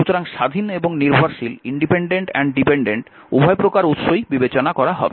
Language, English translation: Bengali, So, both your independent and dependent both sources will be considered right